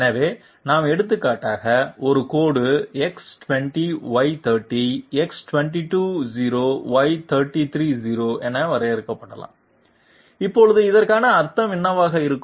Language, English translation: Tamil, So let us for example, a line might be defined as X20Y30, X220Y330, now what could it possibly mean